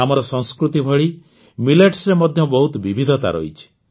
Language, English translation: Odia, In millets too, just like our culture, a lot of diversity is found